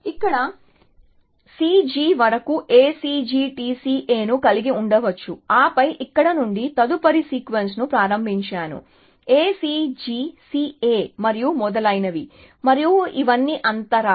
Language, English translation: Telugu, So, I could have then something like this, A C G T C A up to C G here, and then started the next sequence from here, A C G C A and so on, and these are all gaps